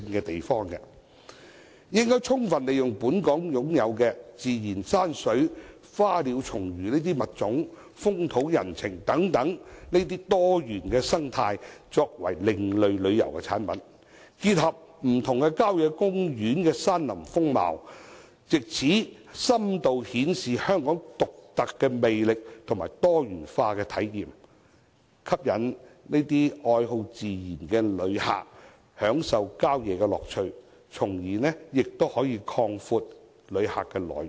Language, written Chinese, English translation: Cantonese, 我們應充分利用本港擁有的自然山水、花鳥蟲魚等物種、風土人情等多元生態作為另類旅遊產品，結合不同郊野公園的山林風貌，藉此深度顯示香港獨特的魅力和多元化體驗，吸引愛好自然的旅客享受郊野樂趣，從而擴闊旅客的來源。, We should make full use of our natural landscape different species of flowers birds insects and fishes as well as diversified local conditions and customs etc . to develop alternative tourism products . Such products supplemented by the terrain and scenes of different country parks fully reflects Hong Kongs unique charm and diverse experience to attract nature - loving visitors to come and enjoy the countryside thus broaden our visitor source